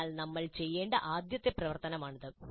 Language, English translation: Malayalam, So this is the first activity that we should do